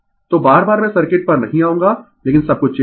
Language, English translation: Hindi, So, again and again I will not come to the circuit, but everything is marked